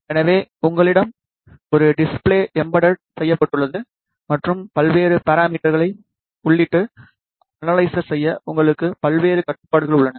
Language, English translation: Tamil, So, you have an embedded display, your various controls to enter and analyze different parameters